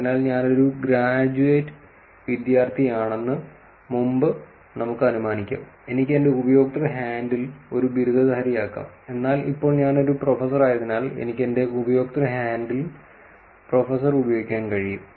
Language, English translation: Malayalam, So, earlier let us take I was a grad student I could have a graduate in my user handle, but as now I am a professor so, could actually use professor in my user handle